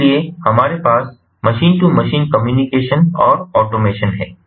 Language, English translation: Hindi, so, going back, we have machine to machine communication and automation